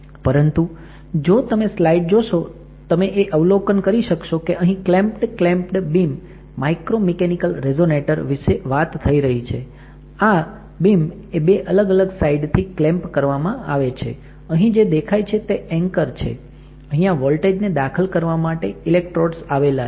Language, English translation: Gujarati, But, if you see the slide what you observe is that if you talk about a clamped clamped beam micromechanical resonator, this beam is clamped from two different regions and this is the anchor, these are electrodes for applying the voltage